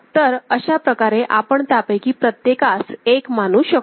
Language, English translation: Marathi, So, that way you can consider each one of them as 1 ok